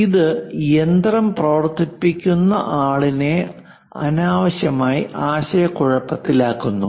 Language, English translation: Malayalam, It unnecessarily confuse the machinist